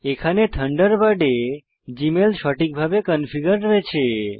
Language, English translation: Bengali, In this tutorial, Thunderbird has configured Gmail correctly